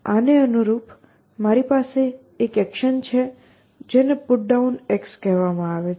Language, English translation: Gujarati, So, corresponding to this, I have an action called put down